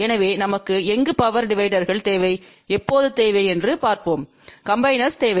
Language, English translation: Tamil, So, let us see where we need power dividers and when we need combiners